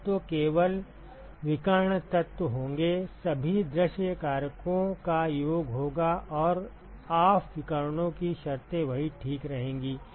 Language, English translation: Hindi, The elements will simply be the diagonal elements will be summation of all the view factors and the off diagonals their terms will remain the same ok